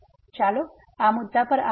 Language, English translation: Gujarati, So, let me just come to this point